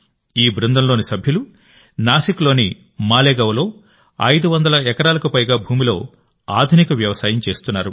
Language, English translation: Telugu, The members of this team are doing Agro Farming in more than 500 acres of land in Malegaon, Nashik